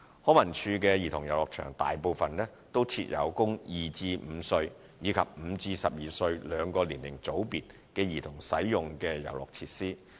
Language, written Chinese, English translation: Cantonese, 康文署的兒童遊樂場大部分均設有供2至5歲，以及5至12歲兩個年齡組別的兒童使用的遊樂設施。, Most of the childrens playgrounds under LCSD provide play equipment for groups of children aged between two and five as well as five and 12